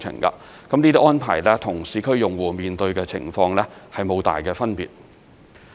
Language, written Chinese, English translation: Cantonese, 這些安排與市區用戶面對的情況無大分別。, This arrangement is largely the same as for subscribers in urban areas